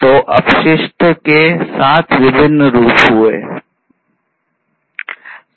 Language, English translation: Hindi, So, these are the seven different forms of wastes